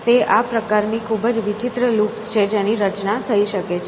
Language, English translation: Gujarati, So, they are these kinds of very curious loops which can form, okay